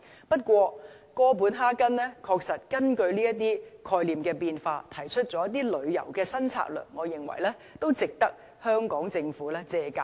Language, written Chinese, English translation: Cantonese, 不過，哥本哈根確實根據這些概念的變化而提出了一些旅遊新策略，我認為值得香港政府借鑒。, Nevertheless Copenhagen has put forward new tourism strategies in response to the changing concepts . I think it will be worthy for the Hong Kong Government to draw reference from this approach